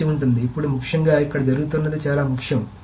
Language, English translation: Telugu, So now essentially what is happening is here is very, very important